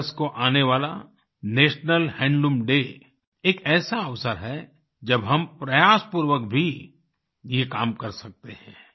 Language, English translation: Hindi, The National Handloom Day on the 7th of August is an occasion when we can strive to attempt that